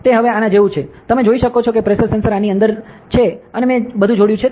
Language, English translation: Gujarati, So, it is like this now, you can see that pressure sensor is within this and I have connected everything